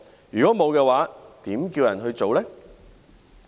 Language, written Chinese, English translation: Cantonese, 如果沒有，又怎樣叫人做呢？, If it has not how can it tell others what to do?